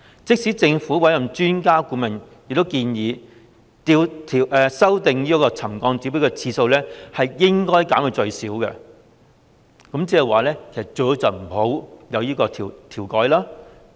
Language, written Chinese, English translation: Cantonese, 即使政府委任的專家顧問亦建議，修訂沉降指標的次數應該減至最少，即最好不要調整。, Even the expert advisers appointed by the Government have suggested that the frequency of revising the settlement trigger level should be reduced to the minimum . That means it had better not be adjusted